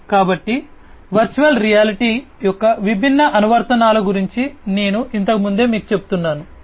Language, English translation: Telugu, So, I was telling you about the different applications of virtual reality earlier